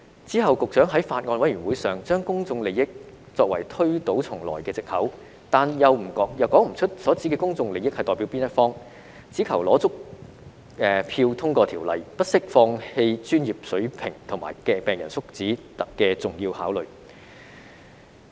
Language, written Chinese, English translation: Cantonese, 之後局長在法案委員會上，把"公眾利益"作為推倒重來的藉口，但又說不出所指的"公眾利益"是代表哪一方，只求取得足夠票數通過修例，不惜放棄專業水平及病人福祉的重要考慮。, At a meeting of the Bills Committee later on the Secretary used public interest as an excuse for making a new start but she could not tell us which parties public interest was related to . She only wanted to get enough votes to pass the legislative amendment at the expense of the important consideration of professional standards and patients well - being